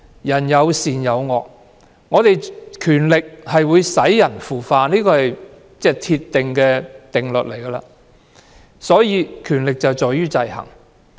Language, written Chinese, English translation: Cantonese, 人性有善有惡，權力會使人腐化，這是鐵一般的定律，所以，權力制衡十分重要。, Human nature can be good or bad and it is a firm principle that power will corrupt people . Therefore checks and balances of powers are very important